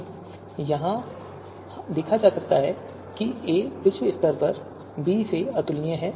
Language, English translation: Hindi, You can see here a is globally incomparable to b